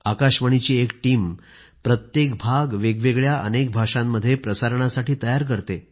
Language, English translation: Marathi, The team from All India Radio prepares each episode for broadcast in a number of regional languages